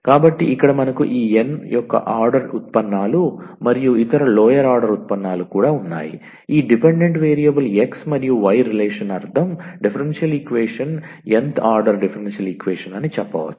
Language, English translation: Telugu, So, here we have this nth order derivatives and other lower order derivatives also, this dependent variable x and y since a relation meaning is a differential equation the nth order differential equation